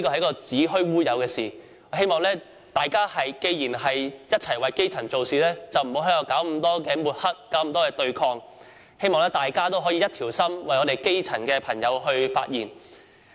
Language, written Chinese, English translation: Cantonese, 既然大家同為基層做事，就不應老是搞抹黑和對抗，希望大家可以一心一意，為基層的朋友發聲。, Since we are all working for the good of grass roots we should stop all such besmirching acts and confrontations . I hope we can work together wholeheartedly to speak for the grass roots